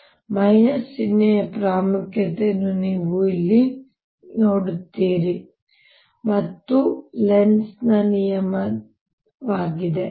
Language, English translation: Kannada, so you see the importance of that minus sign out here, and that is the statement of lenz's law